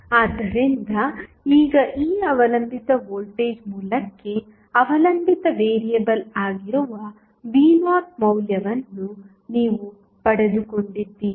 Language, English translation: Kannada, So, now, you got the value of V naught which is the dependent variable for this dependent voltage source